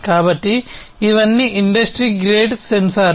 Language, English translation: Telugu, So, these are all industry grade sensors